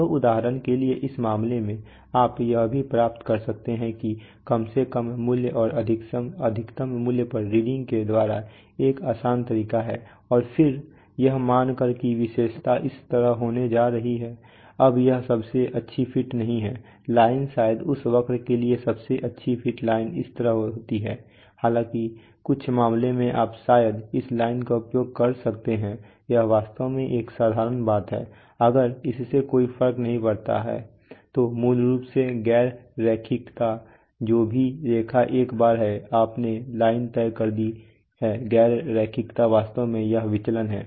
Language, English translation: Hindi, So for example in this case, you can also obtain it that is a simpler way by taking the reading at the least value and the maximum value and then simply assuming that the characteristic is going to be like this, now this is not the best fit line probably for this curve the best fit line would have been like this, however in some in some cases you can perhaps use this line, that is actually a simple thing if it does not matter, so basically non linearity whatever is the line once you have fixed the line the non linearity is actually this deviation